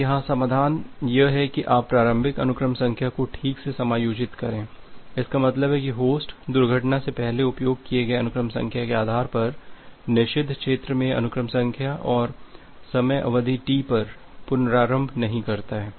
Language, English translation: Hindi, Now, the solution here is you adjust a initial sequence number properly; that means, a host does not restart with the sequence number in the forbidden region based on the sequence number it used before crash and at the time duration T